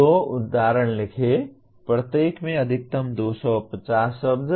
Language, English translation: Hindi, Write two instances, maximum 250 words each